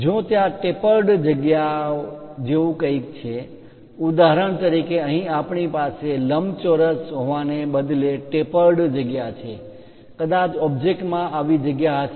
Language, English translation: Gujarati, If there are anything like tapered features for example, here, we have a tapered feature instead of having a rectangle perhaps the object might be having such kind of feature